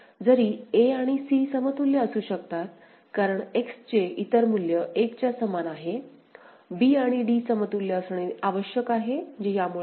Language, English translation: Marathi, Even if a and c can be equivalent because the other value for x is equal to 1; b and d need to be equivalent which is not the case because of this